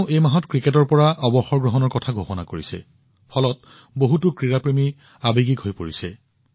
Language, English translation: Assamese, Just this month, she has announced her retirement from cricket which has emotionally moved many sports lovers